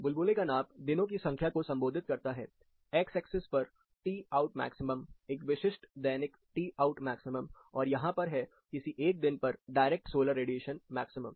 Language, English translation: Hindi, What you see in this, the size of the bubble represents, the more number of days, on x axis you have, the t out maximum, a specific daily t out maximum, here we have the direct solar radiation maximum on a particular day